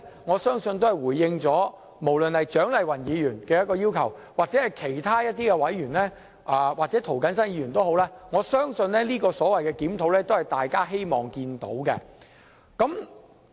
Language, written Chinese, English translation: Cantonese, 我相信這是政府回應蔣麗芸議員、涂謹申議員或其他委員的要求，我相信這個檢討也是大家希望見到的。, I believe this is the Governments response to the demand made by Dr CHIANG Lai - wan Mr James TO or some other members and the review is probably welcomed by all of us